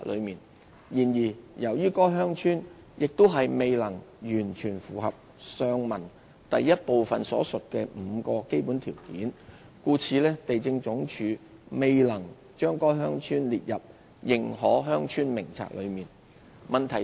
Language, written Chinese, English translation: Cantonese, 然而，由於該鄉村亦未能完全符合上文第一部分所述的5個基本條件，故地政總署未能將該鄉村列入《認可鄉村名冊》內。, However the village also failed to fully meet the five basic criteria mentioned in part 1 above and hence was not included in the List of Recognized Villages by LandsD